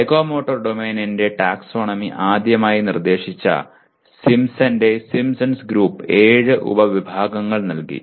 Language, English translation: Malayalam, Now Simpson who first proposed the Simpson’s group that proposed the taxonomy of psychomotor domain, they gave seven subcategories